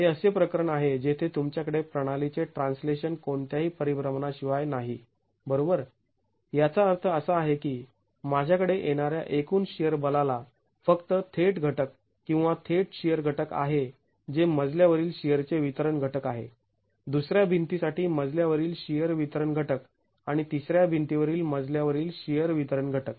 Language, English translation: Marathi, This is a case where you have translation of the system with no rotation, which means the total shear force coming to the floor has only a direct component, a direct shear component which is distribution factor into the floor shear, distribution factor into the floor share for the second wall and distribution factor into the flow shear for the third wall